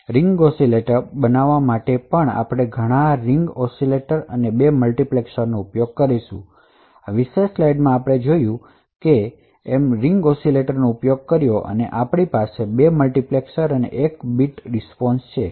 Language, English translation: Gujarati, And in order to build a ring oscillator pub, we would use many such Ring Oscillators and 2 multiplexers, So, in this particular slide we have shown that we have used N Ring Oscillators, we have 2 multiplexers and a counter and 1 bit response